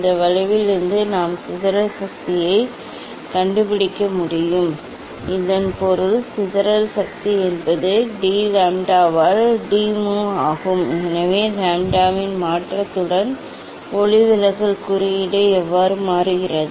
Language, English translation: Tamil, from this curve we can find out the dispersive power, so that is mean dispersive power is d mu by d lambda, so with change of lambda how refractive index changes